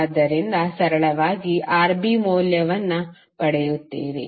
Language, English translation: Kannada, So you will get simply the value of Rb